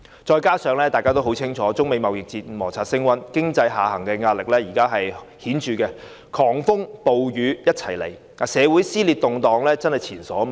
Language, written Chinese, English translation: Cantonese, 再者，大家很清楚知道，隨着中美貿易摩擦升溫，經濟下行的壓力十分顯著，狂風暴雨一起到來，社會上的撕裂和動盪真的是前所未見。, Moreover we all know very well that the downside pressure on the economy is most obvious with the China - United States trade conflicts heating up . Being hit by storms on various fronts we really witness unprecedented dissension and turmoil in society